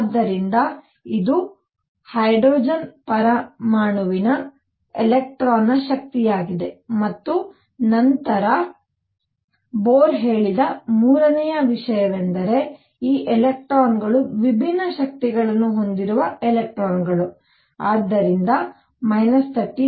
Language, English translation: Kannada, So, this is the energy of an electron in hydrogen atom and then the third thing that Bohr said is that these electrons that have energies which are different, so minus 13